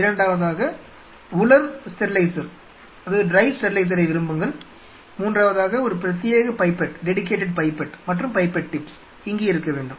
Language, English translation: Tamil, Second you have to prefer to have a dry sterilizer, third a dedicated pipette and pipette tips sitting out there